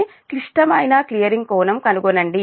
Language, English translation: Telugu, determine the critical clearing angle